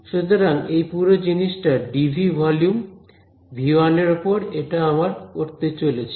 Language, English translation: Bengali, So, this whole thing dv over v 1 that is what we are going to do ok